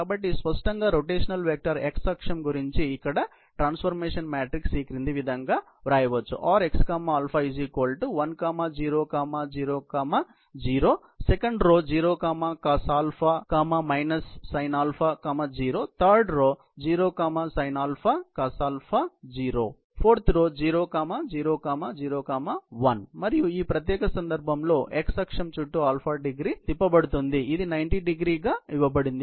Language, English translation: Telugu, So, obviously, the rotation vector if it about the x axis, is given by the transformation matrix here, 1, 0, 0, 0, cos α minus α sin α, 0, 0, sin α, cos α, 0, 0, 0, 0, 1 and α is rotated about the x axis in this particular case, as has been given as 90º